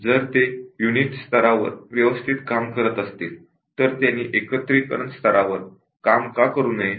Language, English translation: Marathi, If they are working at the unit level, why should not they work at the integration level